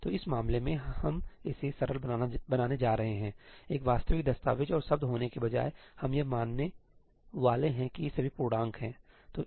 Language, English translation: Hindi, So, in this case we are going to simplify it; instead of having an actual document and words we are going to assume that these are all integers